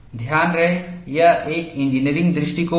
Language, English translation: Hindi, Mind you, it is an engineering approach